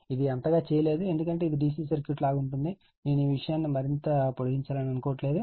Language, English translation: Telugu, This not much done because, it is same as dc circuit right I never wanted to make these things much more lengthy